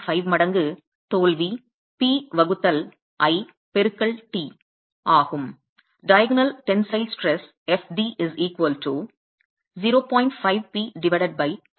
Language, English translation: Tamil, 5 times the load at failure p divided by L into T